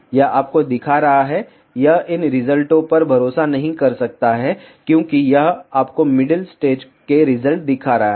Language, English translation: Hindi, It is showing you it cannot rely on these results, because it is showing you the results of the middle stage